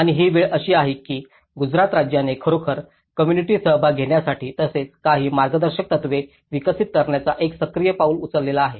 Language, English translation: Marathi, And this is a time Gujarat state has actually taken a very active initiative of the community participation and as well as developing certain guidelines